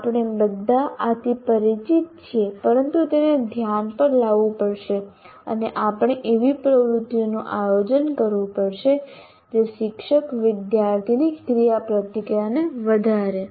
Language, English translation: Gujarati, These are not some things that we are not, we are all familiar with this, but it has to be brought into focus and we have to plan activities that enhances the teacher student interaction